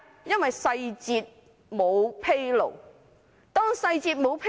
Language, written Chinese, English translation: Cantonese, 因為細節沒有披露。, Because the details are not disclosed